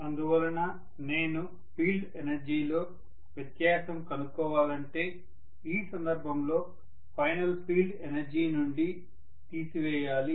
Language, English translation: Telugu, So if I want to do get the difference in field energy, in that case I have to minus whatever is the final field energy